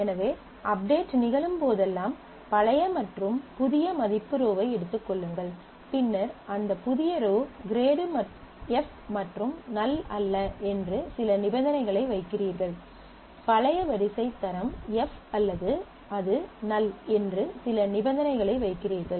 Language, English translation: Tamil, So, whenever the update happens you take the old and the new value n row and o row, and then you are putting some conditions that if that new row is grade is f, and is not null; old row is grade or it is not null, then you try to do this